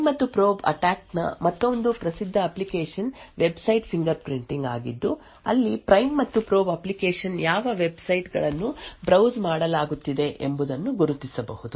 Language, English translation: Kannada, Another famous application of the prime and probe attack was is for Website Fingerprinting where the Prime and Probe application can identify what websites are being browsed